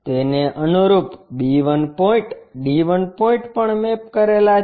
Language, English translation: Gujarati, Correspondingly, the b 1 points, d 1 points are also mapped